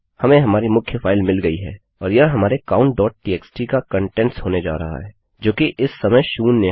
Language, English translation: Hindi, Weve got our main file and thats getting the contents of our count.txt which is zero at the moment